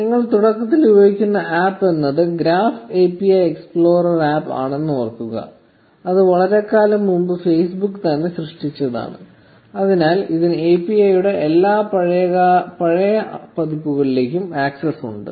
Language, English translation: Malayalam, Remember that the APP you were using in the beginning was the Graph API explorer APP which was created long ago by Facebook itself, so it has access to all the older versions of the API